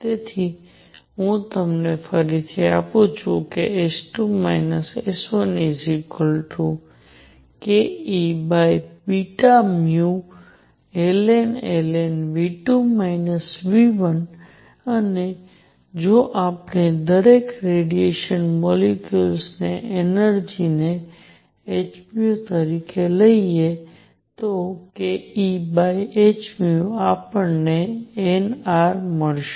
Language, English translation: Gujarati, So, let me this give you again that S 2 minus S 1 came out to be k E over h nu log of V 2 over V 1 and if we take energy of each radiation molecule to be h nu then k E over h nu comes out to be n R